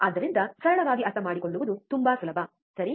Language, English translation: Kannada, So, simple so easy to understand, right